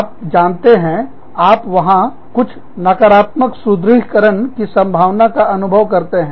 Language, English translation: Hindi, You feel, you know, there is a possibility of, some negative reinforcement